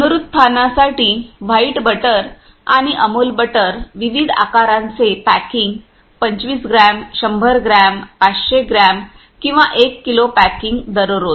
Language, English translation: Marathi, White butter for reconstitution in reseason and Amul butter various size packing 25 gram 100 gram 500 gram or 1 kg packing per day